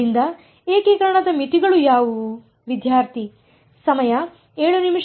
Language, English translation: Kannada, So, what are the limits of integration